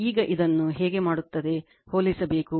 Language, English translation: Kannada, Now, how you will do this, you have to compare